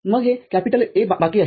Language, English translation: Marathi, Then this A is remaining